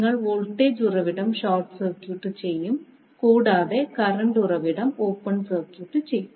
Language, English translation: Malayalam, You will short circuit the voltage source, and open circuit the current source